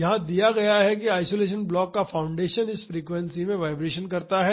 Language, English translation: Hindi, It is given that the foundation of the isolation block vibrates in this frequency